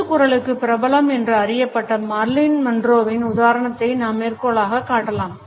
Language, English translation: Tamil, We can quote the example of Marilyn Monroe who is known for her breathy voice